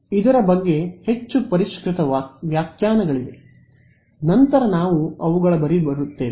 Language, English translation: Kannada, There are more refined definition of this we will come to them later